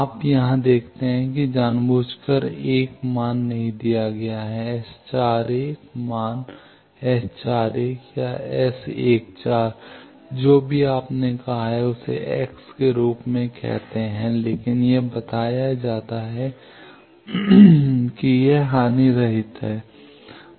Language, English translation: Hindi, You see here deliberately 1 value is not given, the S 41 value S 41 or S 14 whatever you said let us call it as x, but it is told that it is lossless